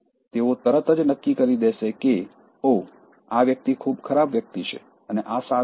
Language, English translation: Gujarati, They will just immediately think that Oh, this person is bad guy